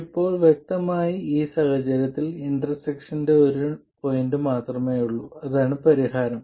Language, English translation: Malayalam, Now clearly in this case there is only one point of intersection and that is the solution